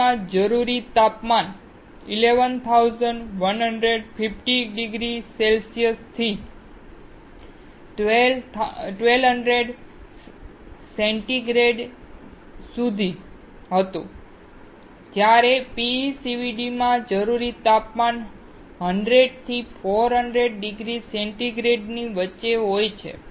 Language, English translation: Gujarati, The temperature required in LPCVD was 1150 degree centigrade to 1200 degree centigrade, while the temperature required in PECVD ranges between 100 and 400 degree centigrade